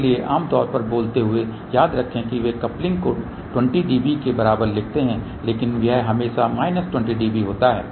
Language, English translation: Hindi, So, generally speaking remember they do write coupling equal to 20 db , but it is always minus 20 db